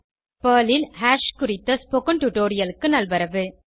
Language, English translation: Tamil, Welcome to the spoken tutorial on Hash in Perl